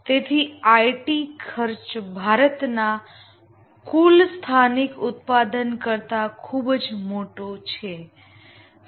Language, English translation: Gujarati, So, the IT spending is even much more than all the domestic production of India is a huge